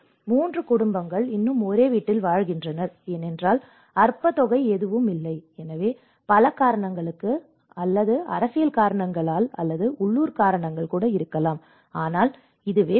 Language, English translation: Tamil, Three families still live in the same house because whatever the meager amount is not, so there might be many various reasons or political reasons or the local reasons, but this is the reality